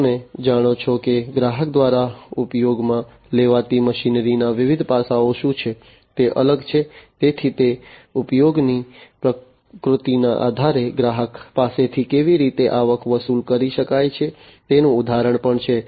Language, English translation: Gujarati, You know what are the different what are the different aspects of the machinery that is used by the customer, so that is also an example of how the customer can be charged with the revenues, based on the nature of the usage